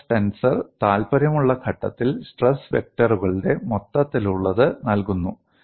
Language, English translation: Malayalam, Stress tensor provides totality of the stress vectors at a point of interest